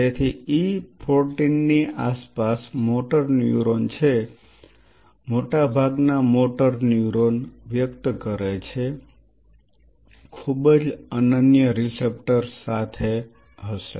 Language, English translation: Gujarati, So, at around E 14 there are motor neurons most of the motor neuron expresses are very unique receptors